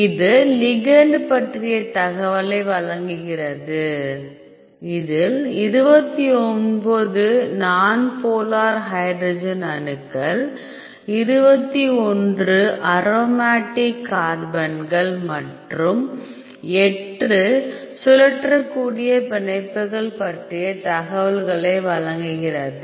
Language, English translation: Tamil, So, this is giving you the information about this ligand, which consist of 29 non polar hydrogen atoms and 21 aromatic carbons and 8 rotatable bonds